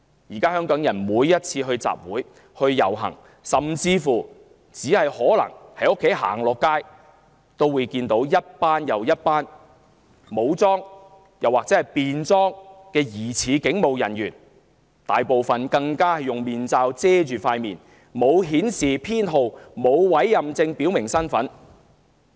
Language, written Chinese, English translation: Cantonese, 現在香港人每次參加集會、遊行，甚至只是步出家門，也會看到一批又一批武裝或便裝的疑似警務人員，他們大部分更用面罩遮掩面孔，沒有編號或委任證識別身份。, Nowadays whenever Hongkongers join a rally a march or just step out of their homes they will be greeted by the sight of groups of apparent police officers in uniform or plain clothes . Most of them cover their faces with masks . There are no service numbers or warrant cards for identification of them